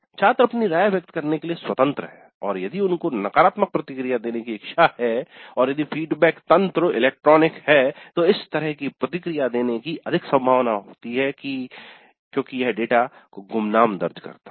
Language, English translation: Hindi, Because the feedback is electronic and it is anonymous, the students are free to express their opinions and if they have negative feedback which they wish to give they would be more likely to give such a feedback if the system is electronic because it permits anonymous data to be entered